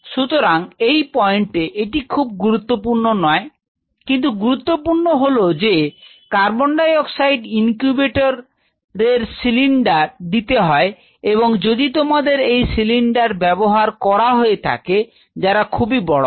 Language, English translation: Bengali, So, at this point this is not important, important is that to maintain a co 2 incubator you need a supply of co 2 cylinder and if you have these cylinders and these are fairly tall cylinders what you will be using